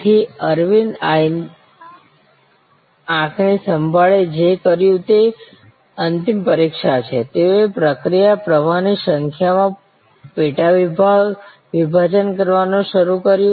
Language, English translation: Gujarati, So, what Aravind eye care did is the final examination, they started sub dividing into number of process flows